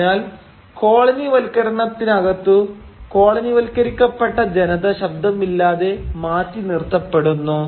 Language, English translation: Malayalam, Thus within colonialism the colonised subjects are always left without a voice